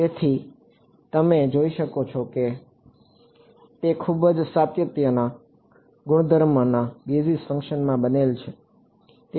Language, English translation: Gujarati, So, you can see that its a very nice continuity property is built into the basis function